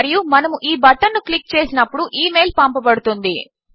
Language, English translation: Telugu, And when we click this button, the email will send